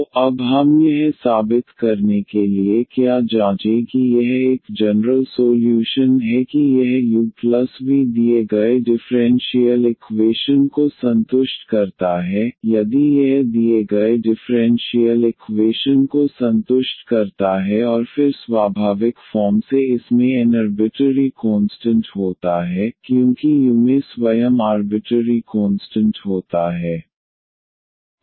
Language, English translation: Hindi, So, what we will check now to prove that this is a general solution that this u plus v satisfies the given differential equation, if this satisfies the given differential equation and then naturally it has n arbitrary constants because u itself has n arbitrary constants